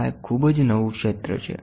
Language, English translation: Gujarati, This is a very new field